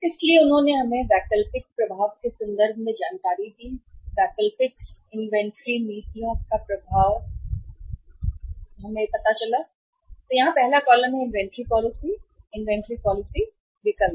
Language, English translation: Hindi, So they uh have given us the information in terms of impact of impact of alternative, impact of alternative inventory policies; impact of alternative inventory policies and here first column is inventory policy, inventory policy option